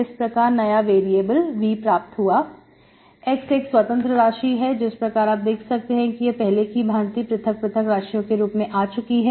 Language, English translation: Hindi, Now the new variable that is V, x is the independent variable, so you can see this is like earlier type separated variables